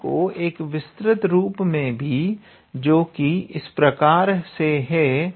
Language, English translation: Hindi, There is a little bit generalized form of this theorem